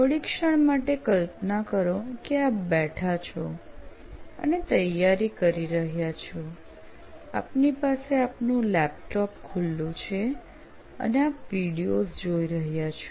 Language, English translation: Gujarati, Imagine for the time being that you are actually seating and preparing, you have your laptop open and you are watching videos